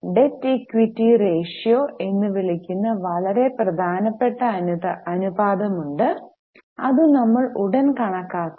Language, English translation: Malayalam, There is very important ratio called as debt equity ratio which we will be calculating soon